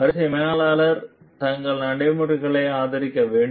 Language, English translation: Tamil, Line managers must support their procedures